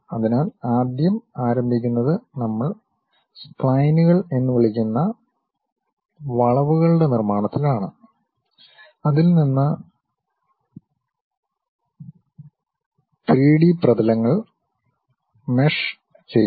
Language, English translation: Malayalam, So, first begins with construction of curves which we call splines, from which 3D surfaces then swept or meshed through